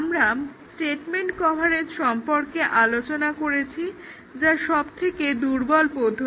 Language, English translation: Bengali, We have discussed statement coverage that was the weakest